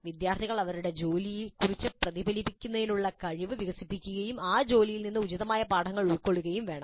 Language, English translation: Malayalam, Students must develop the capacity to reflect on their work and draw appropriate lessons from that work